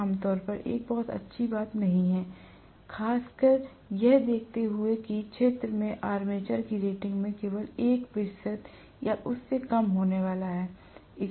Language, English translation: Hindi, This is generally not a very good thing to do, especially considering that the field is going to have only about 1 percent or less, of the rating of the armature